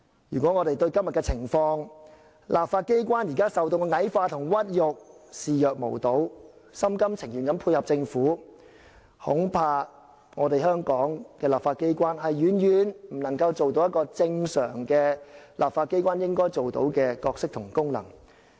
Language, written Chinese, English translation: Cantonese, 如果我們對今天的情況，對立法機關現時受到矮化和屈辱的情況視若無睹，心甘情願地配合政府，恐怕香港的立法機關遠遠不能擔當正常立法機關應有的角色和功能。, If we turn a blind eye to the current situation in which the legislature is being dwarfed and disgraced and willingly dovetail with the Government I am afraid that the legislature of Hong Kong can hardly play the aforesaid roles and perform the functions of a normal legislature